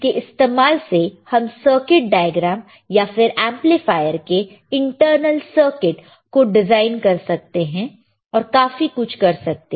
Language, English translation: Hindi, It is used to design this circuit diagrams or the internal circuit of the amplifiers and lot more